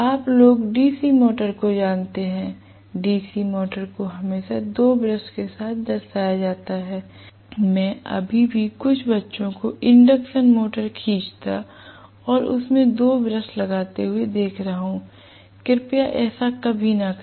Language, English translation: Hindi, You guys know DC motor, DC motor is always represented like this with two brushes because I see still some kids drawing the induction motor and showing two brushes, please do not ever do that